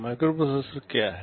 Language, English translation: Hindi, What is a microprocessor